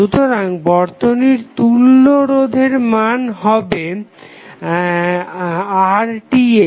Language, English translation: Bengali, So, equivalent resistance value of the circuit is Rth